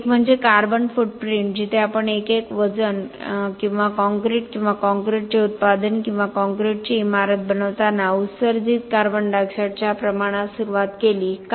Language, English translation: Marathi, One is the carbon footprint where we started off with the amount of CO2 emitted while we are making a unit weight or concrete or product of concrete or a building of concrete, why